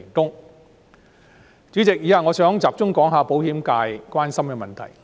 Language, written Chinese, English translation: Cantonese, 代理主席，以下我想集中談談保險界關心的問題。, Deputy President next I would like to focus on issues of concern to the insurance industry